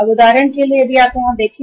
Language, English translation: Hindi, Now for example if you see here